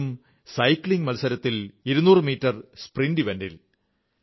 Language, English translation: Malayalam, That too in the 200meter Sprint event in Cycling